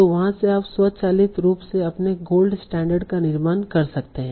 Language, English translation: Hindi, So from there you can automatically construct your gold standard